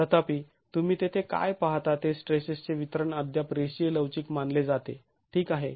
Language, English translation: Marathi, However, what you see here is that the distribution of stresses is still considered to be linear elastic